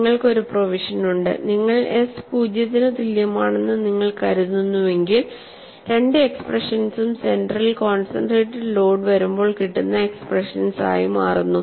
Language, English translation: Malayalam, You have a provision, suppose you make s equal to zero both the expressions reduce to what we saw for the concentrated load at the center